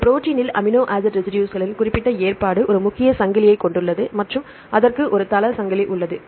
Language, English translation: Tamil, Specific arrangement of amino acid residues in a protein right like it has a main chain and it has a site chain